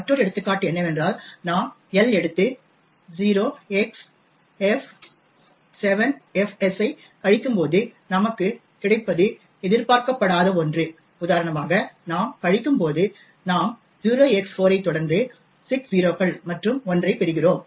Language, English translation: Tamil, Another example is when we take L and subtract 0xf 7 fs what we get is something which is not expected for example when we do subtract, we get 0x4 followed by 6 0s and then a 1